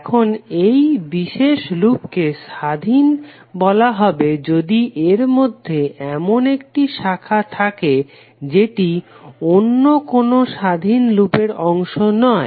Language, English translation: Bengali, Now this particular loop is said to be independent if it contains at least one branch which is not part of any other independent loop